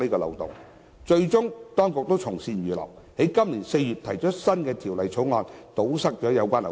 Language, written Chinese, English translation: Cantonese, 當局最終從善如流，在今年4月提出《第2號條例草案》，以堵塞有關漏洞。, The Administration finally followed good advice and introduced the No . 2 Bill in April this year to plug the loopholes